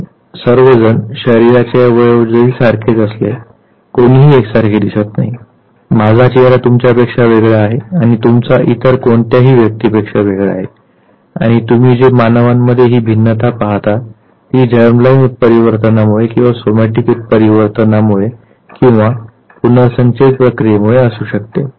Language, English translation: Marathi, Although all of us say obvious body parts, none of us exactly look alike; so my face is different from yours and yours is different from the third person and even this variation between the human beings that you see it could be either because of mutation germ line or somatic mutation or it could be because of recombination